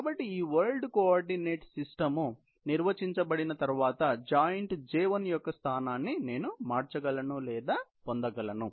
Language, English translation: Telugu, So, that is how I would be able to convert or get the location of the joint J1, once this world coordinate system is defined